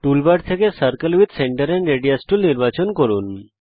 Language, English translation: Bengali, Select the Circle with Center and Radius tool from tool bar